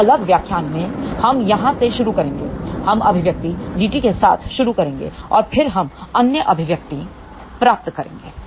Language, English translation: Hindi, So, in the next lecture, we will start from here; we will start with the expression G t and then, we derive other expression